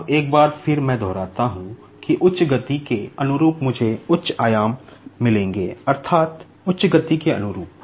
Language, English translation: Hindi, Now, once again, let me repeat that corresponding to the high speed, I will be getting high amplitude that means, corresponding to the high speed